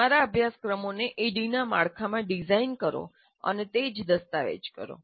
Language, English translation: Gujarati, And design your courses in the framework of ADI and document the same